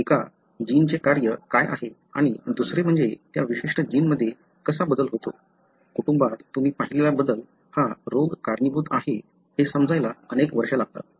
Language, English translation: Marathi, It takes years to understand what is the function of a gene and second, how a change in that particular gene, the change that you have seen in a family is the one that is causing the disease